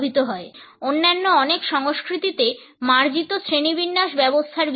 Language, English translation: Bengali, The complexities of the personal odor are the subject of sophisticated classification systems in many other cultures